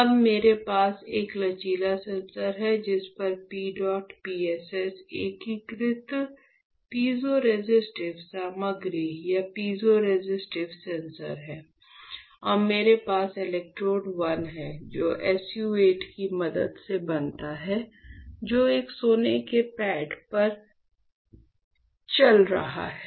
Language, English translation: Hindi, So, now what I have, I have a flexible sensor on which there is PEDOT PSS integrated piezoresistive materials or piezoresistive sensors, and I have electrode 1 which is formed with the help of SU 8 which is conducting on a gold pad